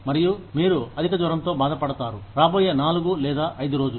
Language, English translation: Telugu, And, you are down with high fever, for the next 4 or 5 days